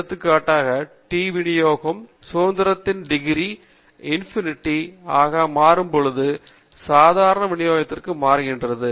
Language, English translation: Tamil, For example, the T distribution tends to the normal distribution when the degrees of freedom tends to infinity